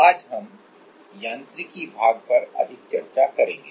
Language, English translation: Hindi, Today, we will discuss more on the mechanics part